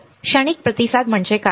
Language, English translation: Marathi, What is transient response